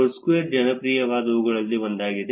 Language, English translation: Kannada, Foursquare is one of the popular ones